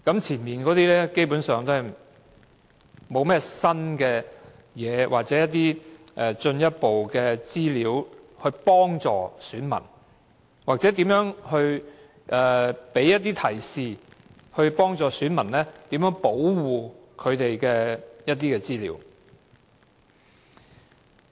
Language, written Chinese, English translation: Cantonese, "前面的內容基本上沒有提供新或進一步資料，或給予提示，以幫助選民保護他們的資料。, No new or further information is provided in the preceding paragraphs nor any suggestion to help electors to protect their personal data